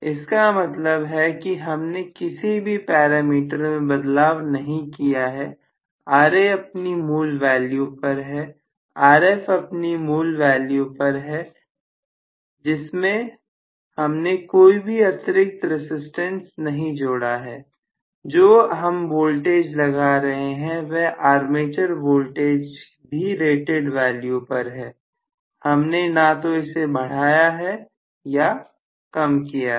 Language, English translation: Hindi, What I mean by inherent is I am not intervened with any of the parameters, Ra is original value, Rf is whatever is the original value I am not including anything extra, what I am including as the armature voltage is rated value, I have not increases or decreased any of them